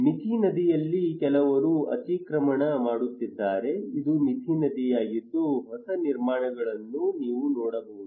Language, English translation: Kannada, There is also an encroachment by on Mithi river some people are encroaching, this is a Mithi river you can see that new constructions arouses